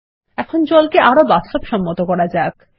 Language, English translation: Bengali, Now let us make the water look more realistic